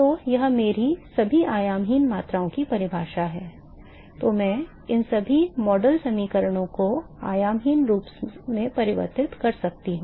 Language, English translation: Hindi, So, that is my definition of all the dimensionless quantities, then I can convert all these model equations into the dimensionless form and